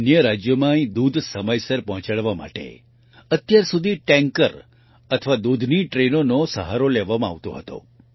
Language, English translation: Gujarati, For the timely delivery of milk here to other states, until now the support of tankers or milk trains was availed of